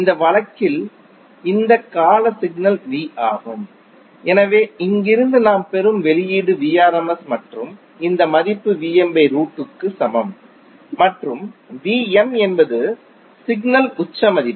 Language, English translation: Tamil, In this case this periodic signal is V, so the output which we get from here is Vrms and this value is equal to Vm by root 2 and Vm is the peak value of the signal